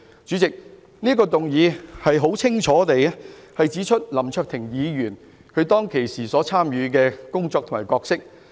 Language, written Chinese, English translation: Cantonese, 主席，我這項議案清楚指出了林卓廷議員當時參與的活動及其角色為何。, President my motion gives a clear account of what activities Mr LAM Cheuk - ting has engaged in as well as the role he played that night